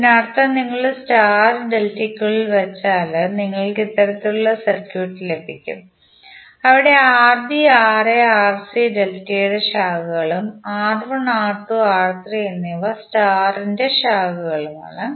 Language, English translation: Malayalam, It means that if you put the star inside the delta you will get this kind of circuit where Rb, Ra, Rc are the branches of delta and R1, R2, R3 are the branches of star